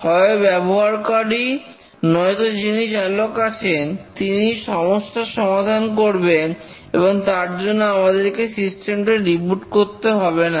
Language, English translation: Bengali, Either the user himself or with the operator could recover and again without rebooting we could use the system